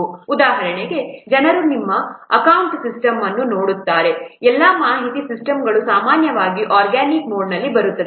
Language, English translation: Kannada, For example, if you will see your accounting system, all the information systems are normally coming under organic mode